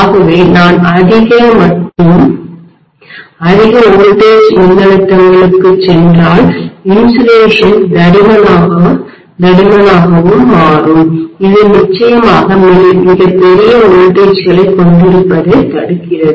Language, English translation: Tamil, So the insulation will become thicker and thicker if I go for higher and higher voltages, so that essentially prevents me from having extremely large voltages